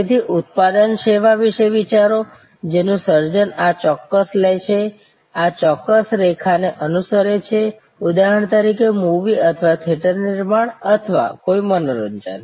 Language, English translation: Gujarati, So, think about a product service bundle, the creations of which takes this particular, follows this particular line, yes, that’s is right, a movie for example or a theater production or an entertainment happening